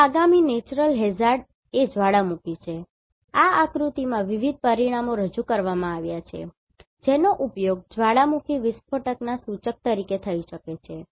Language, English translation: Gujarati, Now, the next Natural Hazard is Volcano in this figure different parameters are represented, which can be used as an indicator of volcanic eruption